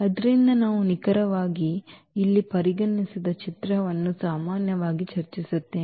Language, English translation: Kannada, So, we are exactly this is the image which we usually discuss which we considered here